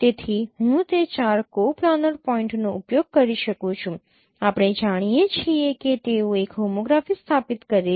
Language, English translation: Gujarati, So I can using that four coplanar points we know that they establish a homography